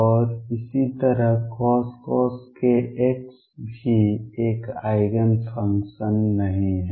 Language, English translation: Hindi, And similarly cosine k x is also not an Eigen function